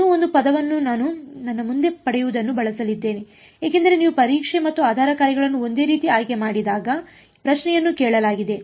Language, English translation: Kannada, One more term I am going to use getting ahead of myself because the question has been asked, when you choose the testing and the basis functions to be the same